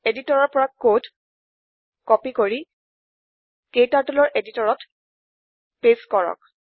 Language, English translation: Assamese, Let me copy the code from editor and paste it into KTurtles editor